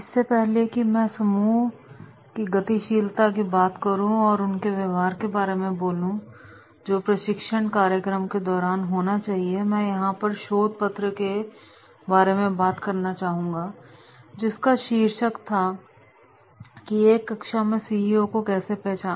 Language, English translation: Hindi, Before I talk about Group dynamics and their behaviour during the training program, what I would like to narrate one research paper and in this research paper the title was “How to identify CEOs in the class”